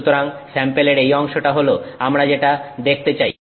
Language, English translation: Bengali, So, this region of that sample is what we are going to see